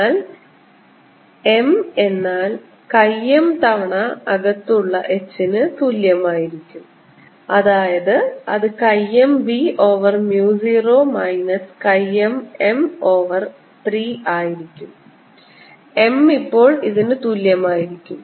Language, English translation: Malayalam, now m itself is equal to chi m h in, which is going to be chi m b over mu zero minus chi m over three m, and this gives m three plus chi m over three equals chi m b over mu zero, giving m same as here on the top